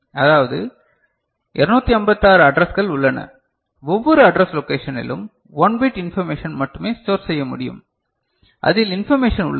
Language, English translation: Tamil, So, that means, 256 addresses are there in each address location only 1 bit information can be stored, on which information is there